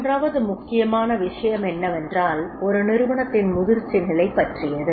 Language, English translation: Tamil, Third important point is that is about the maturity stage of the organization